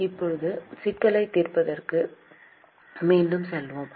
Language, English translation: Tamil, Now let us go back to the problem solving